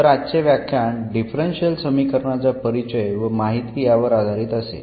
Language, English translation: Marathi, So, today’s lecture will be diverted to the introduction and the information of differential equations